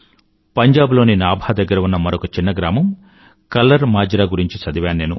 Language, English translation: Telugu, I have also read about a village KallarMajra which is near Nabha in Punjab